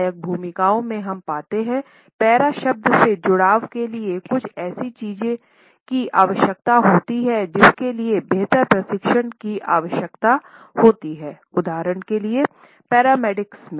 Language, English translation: Hindi, In the ancillary roles we find that the association of the word para required something which needs better training etcetera, for example, as in paramedics